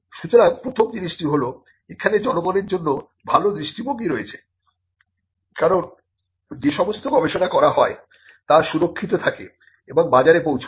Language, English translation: Bengali, So, first thing is that there is a public good perspective because all the research that is done is protected and it reaches the market